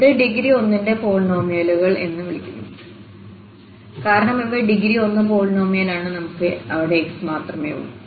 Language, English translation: Malayalam, So, these L 0 and L 1 are called polynomials of degree 1 because these are degree 1 polynomial, we have only x there and we have only x there